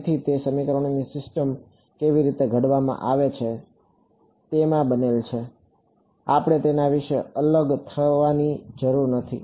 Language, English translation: Gujarati, So, that is built into how we formulate the system of equations, we need not vary about it